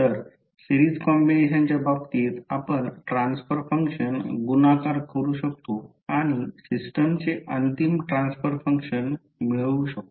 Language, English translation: Marathi, So in case of series combination you can multiply the transfer functions and get the final transfer function of the system